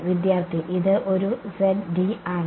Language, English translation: Malayalam, It is a z d